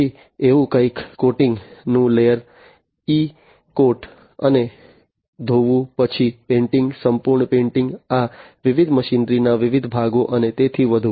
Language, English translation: Gujarati, Then something like you know a layer of coating e coat and wash, then painting, full painting, of these different machinery that the different, different parts and so on